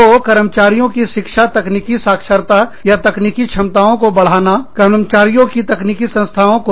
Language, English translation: Hindi, So, education of employees, enhancing the technology, literacy, or technology capabilities, of the employees